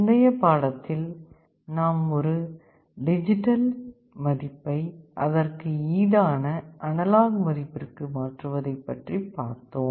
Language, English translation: Tamil, If you recall in our previous lecture we discuss the reverse process, how to convert a digital value into an equivalent and proportional analog value